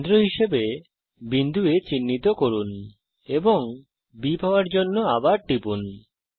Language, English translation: Bengali, Mark a point A as a centre and click again to get B